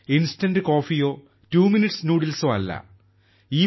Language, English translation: Malayalam, It is not instant coffee or twominute noodles